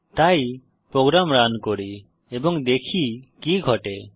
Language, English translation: Bengali, So let us run the program and see what happens